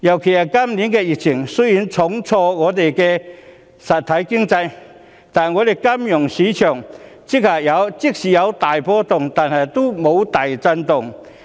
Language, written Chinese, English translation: Cantonese, 雖然今年的疫情重挫香港實體經濟，但香港金融市場即使有大波動，也沒有大震動。, Though the epidemic this year has dealt a heavy blow to Hong Kongs real economy the financial market of Hong Kong has not been shattered despite huge fluctuations